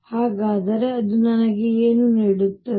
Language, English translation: Kannada, Then what does it give me